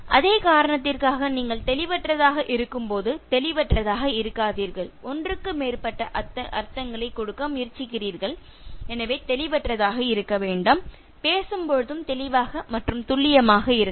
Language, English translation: Tamil, For the same reason, don’t be ambiguous when you are ambiguous you try to give more than one meaning so don’t be ambiguous, be clear lucid and precise in communication